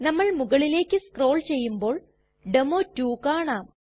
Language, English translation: Malayalam, We scroll up as you can see here is demo2